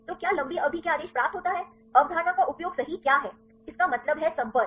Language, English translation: Hindi, So, what how long range order is derived; what is concept used for right so; that means, the contacts